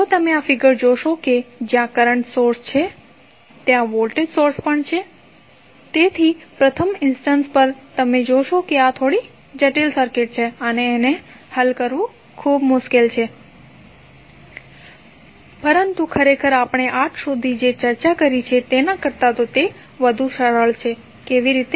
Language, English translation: Gujarati, If you see this figure where current source is there, voltage source is also there so at first instant you see that this is a little bit complicated circuit and difficult to solve but actually it is much easier than what we discussed till now, how